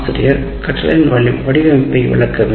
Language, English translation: Tamil, So, the teacher must demonstrate the design of a circuit